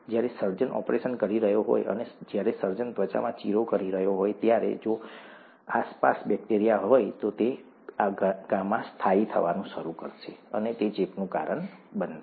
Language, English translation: Gujarati, Whereas when the surgeon is operating, and when the surgeon is making an incision in the skin, if there are bacteria around, it will start settling in this wound and that will cause infection